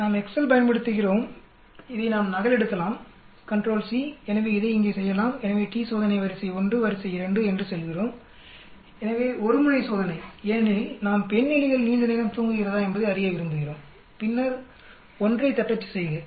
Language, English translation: Tamil, We use the Excel we can copy this control c, so we can do it here so we say t t e s t array 1 comma array 2 comma so one tailed test, because we want to know whether female rats sleep longer then type 1